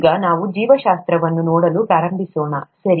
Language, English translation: Kannada, Now, let us start looking at “Biology”, okay